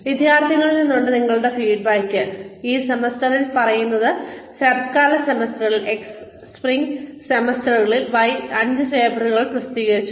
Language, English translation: Malayalam, Your feedback from the students, in this semester say, X in autumn semester, Y in spring semester, you published five papers